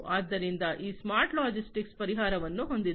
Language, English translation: Kannada, So, they have the smart logistics solutions